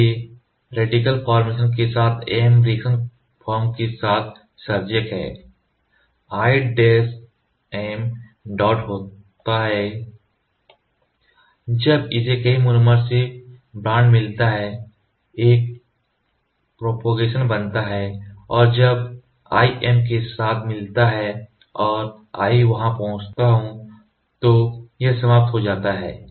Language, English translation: Hindi, So, free radical formation with M reaction forms are initiator I M dot when it gets bond to several of this monomers forms a propagation and when this I gets to meet with an M and I which is getting there so, it gets terminated